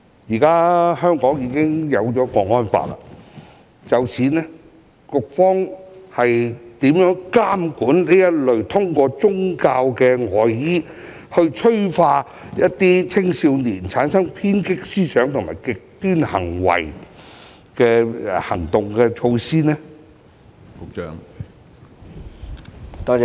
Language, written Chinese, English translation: Cantonese, 在制定《香港國安法》後，當局有何措施監管這類披着"宗教外衣"，催化青少年產生偏激思想和極端行為的行動？, After the enactment of the National Security Law what measures do the authorities have to monitor such actions hiding under religious disguise that have catalyzed young peoples radical thinking and extreme behaviours?